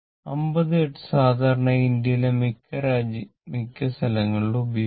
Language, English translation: Malayalam, Our thing actually 50 Hertz is commonly practice in India your most of the countries